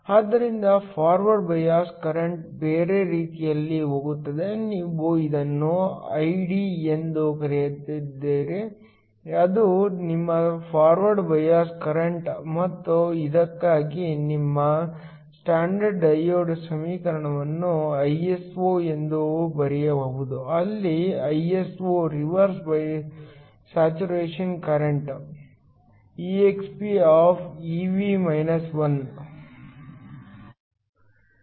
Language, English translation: Kannada, So, The forward bias current goes the other way, you going to call it Id so Id which is your forward bias current and you can write the standard diode equation for this is Iso, where Iso is the reverse saturation current expEvkT 1